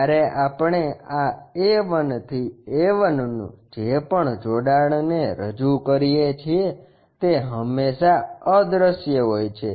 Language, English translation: Gujarati, When we are representing this A 1 to A 1 whatever connection, that is always be invisible